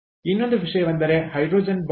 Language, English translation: Kannada, the other thing is the hydrogen bomb